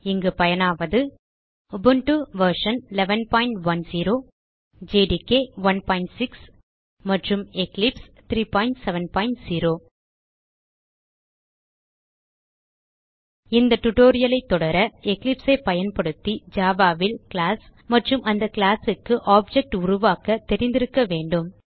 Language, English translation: Tamil, Here we are using Ubuntu version 11.10 Java Development Environment jdk 1.6 and Eclipse 3.7.0 To follow this tutorial you must know how to create a class and the object of the class in java using eclipse